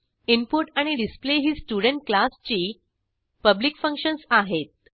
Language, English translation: Marathi, Function input and function display are the public functions of class student